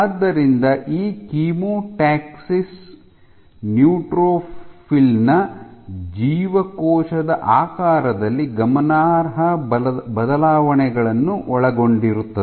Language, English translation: Kannada, So, this chemotaxis involves significant changes in cell shape of the neutrophil